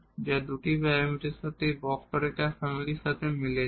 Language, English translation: Bengali, So, we have this two parameter family of curves